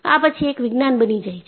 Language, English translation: Gujarati, Then, it becomes Science